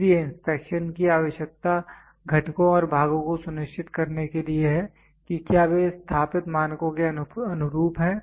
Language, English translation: Hindi, So, the need for inspection is to ensure components and parts whether they conform to the established standards